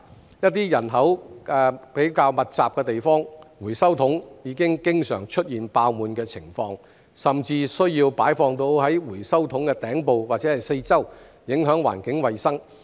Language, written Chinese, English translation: Cantonese, 在一些人口較密集的地方，回收桶已經常出現爆滿的情況，甚至需要擺放到回收桶的頂部及四周，影響環境衞生。, In some densely - populated areas overflowing recycling bins are a common sight and recyclables are even deposited on top of and around the recycling bins which affect the environmental hygiene